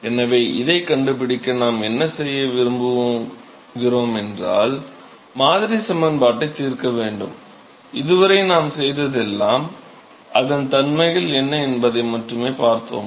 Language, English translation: Tamil, So, what we want to do is in order to find this, we need to solve the model equation, all we have done so far is we have only looked at what are the properties